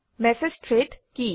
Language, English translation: Assamese, What are Message Threads